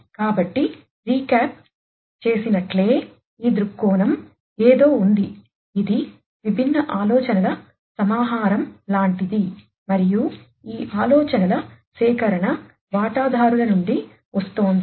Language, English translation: Telugu, So, just as a recap this viewpoint is something, which is like a collection of different ideas and this collection of ideas are coming from the stakeholders